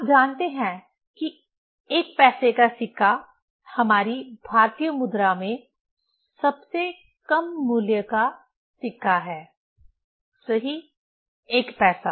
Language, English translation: Hindi, You know that 1 paisa coin is the least value coin in our Indian currency, right, one paisa